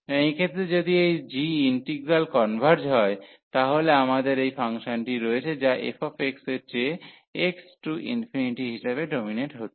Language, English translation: Bengali, And in this case if this g integral converges, so we have this function which is a dominating as x approaches to infinity than this f x